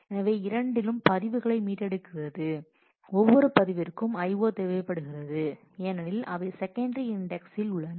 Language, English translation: Tamil, So, in either case retrieving records that are pointed to requires I/O for each record because they are on a secondary index